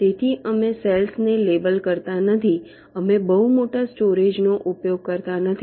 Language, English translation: Gujarati, so we are not labeling cells, we are not using very large storage, only in